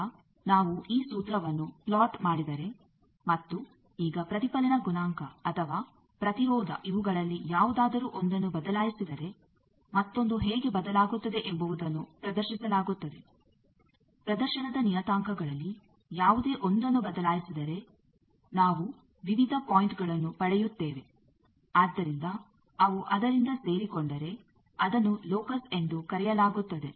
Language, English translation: Kannada, Now this formula if we plot that and now one of this either reflection coefficient or impedance if we vary how other is varying that displays when one of the parameters of any display is varied we get various points, so if they are joined by that that is called Locus